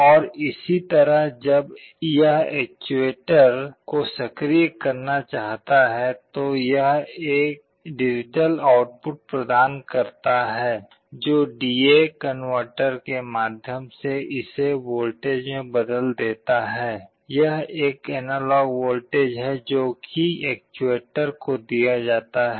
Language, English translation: Hindi, And similarly when it wants to activate the actuator it provides with a digital output which through a D/A converter it is converted into a voltage; it is a analog voltage that is fed to an actuator